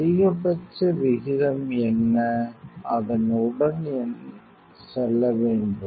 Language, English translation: Tamil, What is the maximum rate; that means, that have to go with